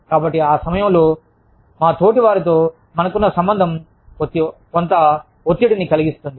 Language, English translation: Telugu, So, at that point of time, our relationship with our peers, can create some stress